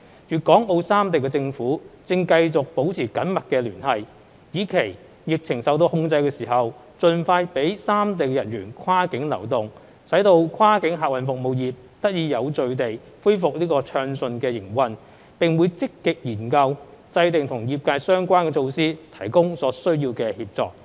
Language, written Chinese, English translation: Cantonese, 粵港澳三地政府正繼續保持緊密聯繫，以期疫情受到控制時，盡快讓三地人員跨境流動，使跨境客運服務業得以有序地恢復暢順營運，並會積極研究制訂與業界相關的措施，提供所需協助。, The governments of Guangdong Hong Kong and Macao have been maintaining close liaison so that once the epidemic situation is under control the cross - boundary people flow amongst the three places can be enabled the soonest possible and the cross - boundary passenger transport service trade can also resume its smooth operation in an orderly manner . The governments will also proactively formulate measures pertinent to the trade and render necessary assistance